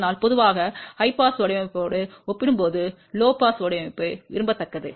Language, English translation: Tamil, So, generally speaking, low pass design is preferable compared to high pass design